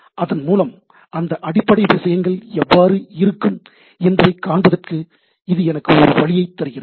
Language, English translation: Tamil, So, it is gives me a way to visualize that how that underlying things will be there